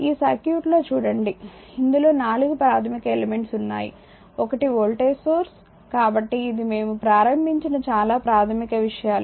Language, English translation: Telugu, Just look at this circuit it consist of four basic element so, one is voltage source so, this is very you know very basic things we have started